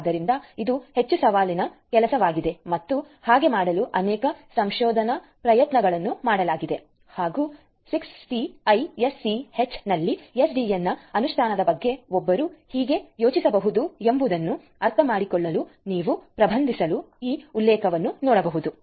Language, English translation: Kannada, So, this is a highly challenging job and so many research efforts are being poured in order to do so, and here is this reference that you can look at to start with in order to understand how one could think of SDN implementation in 6TiSCH